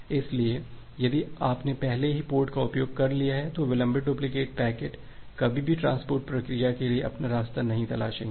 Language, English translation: Hindi, So if you have already used the port so, the delayed duplicate packets it will never find their way to a transport process